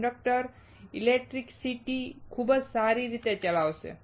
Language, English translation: Gujarati, Conductor will conduct electricity very well